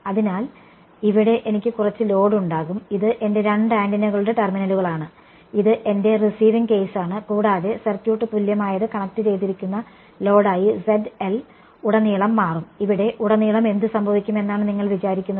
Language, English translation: Malayalam, So, here I will have some load right, this is a load over here this is my two antennas terminals this is my receiving case and the circuit equivalent will become ZL is the load across which have connected it what you think will happen over here across from here